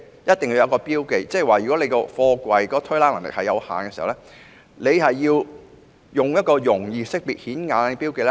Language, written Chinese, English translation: Cantonese, 意思是，如果貨櫃的推拉能力有限，便須附上容易識別及顯眼的標記。, This means containers must be fixed with easily identifiable and conspicuous markings if they have limited racking capacity